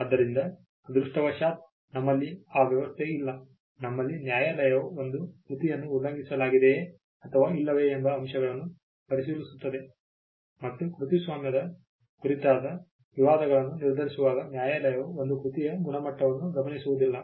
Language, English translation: Kannada, So, thankfully we do not have that arrangement what we have is the fact that the courts will look into factors whether a work is being infringed or not and the court will not look into the quality of a work when it comes to determining disputes on copyright